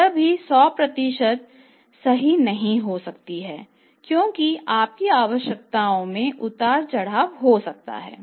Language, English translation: Hindi, This is also some but not 100% true because your requirements keep on fluctuating